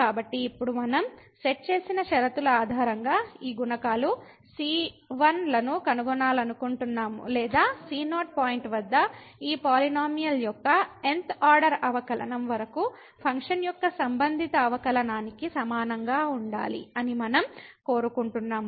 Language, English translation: Telugu, So, now we want to find these coefficients ’s based on the conditions which we have set or we wish to have that this up to th order derivative of this polynomial at the point must be equal to the respective derivative of the function at the same point